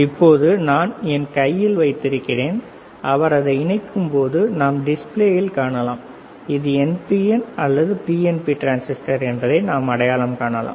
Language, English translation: Tamil, Now, the one that I am holding in my hand, he will insert it and he will and we can see the display, and we can we can identify whether this is NPN or PNP transistor